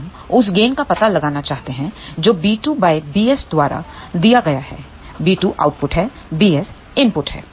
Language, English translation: Hindi, We want to find out the gain which is given by b 2 divided by b s; b 2 is the output, b s is the input